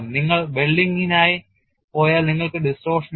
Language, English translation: Malayalam, That is a advantage; if you go for welding you have distortion